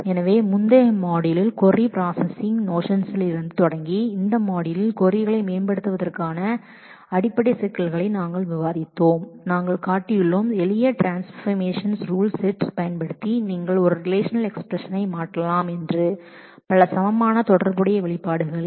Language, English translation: Tamil, So, in this module covered starting from the notions of query processing in the earlier module, we have discussed the basic issues of optimizing queries and we have shown that using a set of simple transformational rules you can convert a relational expression into a number of equivalent relational expressions